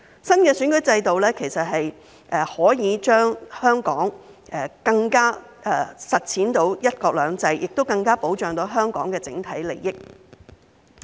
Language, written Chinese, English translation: Cantonese, 新的選舉制度可以讓香港更能實踐"一國兩制"，亦更能保障香港的整體利益。, The new electoral system will enable Hong Kong to better implement one country two systems and better protect the overall interests of Hong Kong